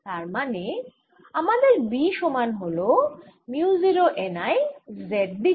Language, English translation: Bengali, so i have b is equal to mu naught n, i in the z direction